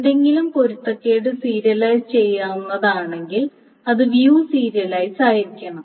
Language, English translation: Malayalam, So, if something is conflict serializable, it must be view serializable